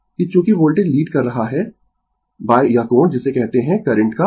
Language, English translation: Hindi, That as voltage is leading by this angle your what you call current of phi, right